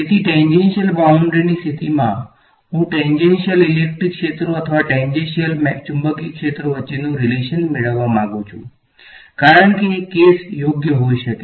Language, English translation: Gujarati, So, in tangential boundary conditions, I want to get a relation between the tangential electric fields or tangential magnetic fields as the case may be right